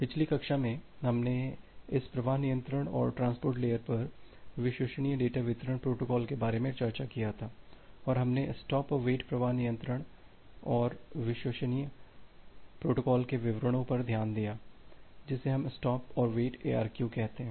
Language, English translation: Hindi, So, in the last class we have discussed about this flow control and reliable data delivery protocols over the transport layer and we have looked into the details of the stop and wait flow control and reliable protocol; which we call as the stop and wait ARQ